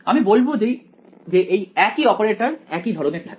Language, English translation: Bengali, I will say the same operator remains similar ok